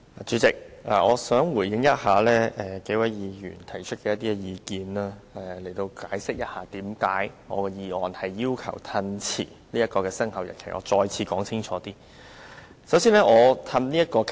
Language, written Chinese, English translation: Cantonese, 主席，我想回應數位議員提出的意見，並希望更清楚解釋為何我要提出議案，要求延後修訂規例的生效日期。, President I would like to respond to the views expressed by several Members while hoping to explain myself more clearly as to why I propose this motion to postpone the commencement date of the Amendment Regulation